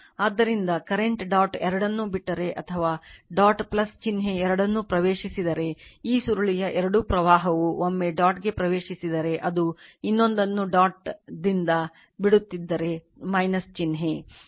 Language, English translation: Kannada, So, that is why if the if the current leaves both the dot or enters both the dot plus sign, if the current either of this coil once it is entering the dot another is leaving the dot it will be minus sign right